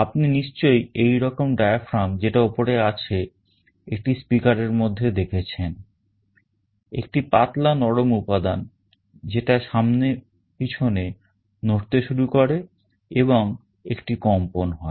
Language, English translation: Bengali, In a speaker you must have seen there is a diaphragm like this on top a thin soft material that also starts moving back and forward, and there is a vibration